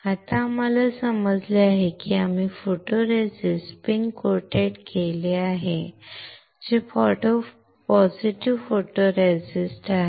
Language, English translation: Marathi, Now, we just understand that we have spin coated a photoresist which is positive photoresist